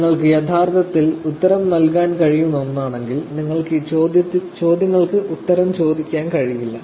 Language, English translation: Malayalam, If it is something that we could actually answer, you cannot be asking what is the answer to these questions